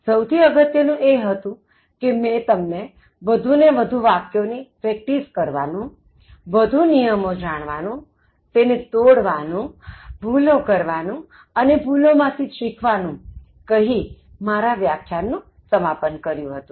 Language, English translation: Gujarati, But the most important of all, I concluded by motivating you to continue trying more and more sentences, learn more rules, break them, commit mistakes and then learn from the mistakes